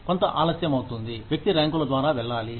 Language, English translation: Telugu, There is some lag, the person has to go through the ranks